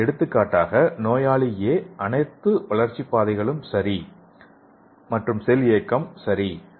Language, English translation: Tamil, So in the patient A you can see here the growth pathways are okay, and cell mobility is okay and he is sensitive for drug A